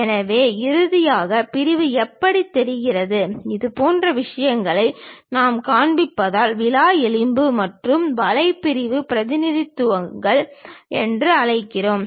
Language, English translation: Tamil, So, finally, the section looks like that; if we are showing such kind of things, we call rib and web sectional representations